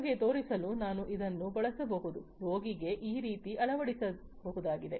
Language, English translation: Kannada, I could use it to show you that, a patient could be fitted with it like this